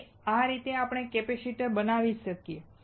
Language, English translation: Gujarati, So, this is how we can fabricate a capacitor